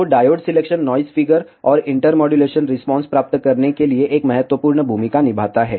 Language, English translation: Hindi, So, the diode selection plays a critical part to get the noise figure and intermodulation response